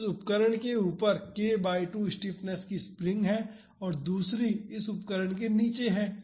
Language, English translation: Hindi, So, there is one string of k by 2 stiffness above this instrument and another one below this instrument